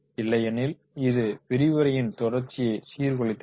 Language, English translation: Tamil, Otherwise this question answer session that may disrupt the continuity of the lecture